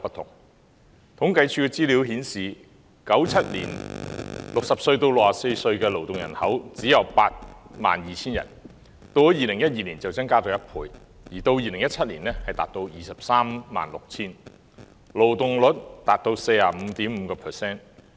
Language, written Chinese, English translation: Cantonese, 政府統計處的資料顯示，在1997年 ，60 歲至64歲的勞動人口只有 82,000 人，到了2012年增加了1倍，而到2017年，達到 236,000 人，勞動人口參與率達 45.5%。, According to the information of the Census and Statistics Department CSD in 1997 there were only 82 000 people aged between 60 and 64 in the labour force but by 2012 the number doubled and in 2017 it reached 236 000 people and the labour force participation rate was 45.5 %